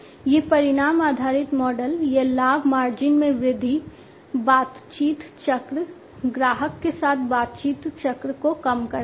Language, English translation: Hindi, These outcome based model, it leads to increased profit margin, reduced negotiation cycle, negotiation cycle with the customer